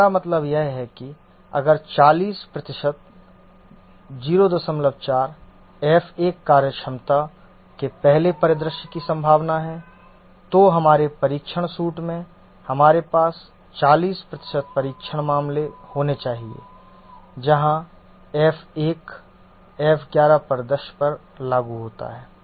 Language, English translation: Hindi, 4 is the probability of the first scenario of F1 functionality, then in our test suit we should have 40% of the test cases where F1 is invoked on the F11 scenario